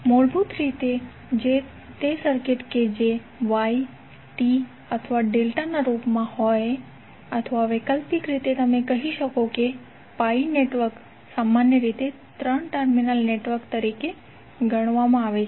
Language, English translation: Gujarati, Basically, those circuits which are in the form of Y or t or delta or alternatively you could pi networks are generally considered as 3 terminal networks